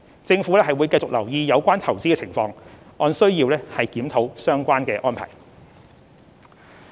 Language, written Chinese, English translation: Cantonese, 政府會繼續留意有關投資的情況，按需要檢討相關安排。, The Government will continue to monitor the investment situation and review the relevant arrangements as necessary